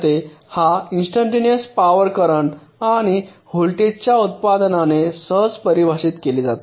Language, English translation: Marathi, see, instantaneous power is defined simple, by the product of the current and the voltage